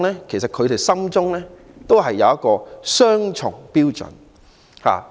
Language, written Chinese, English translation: Cantonese, 其實，他們心中都有一個雙重標準。, In fact they uphold double standards deep in their hearts